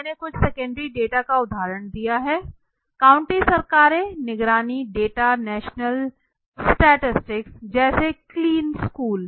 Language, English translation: Hindi, So some of the secondary data I have given example county governments surveillance data national statistics like clean like school right